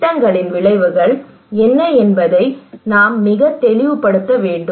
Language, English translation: Tamil, We should make it very clear that what are the outcomes of the projects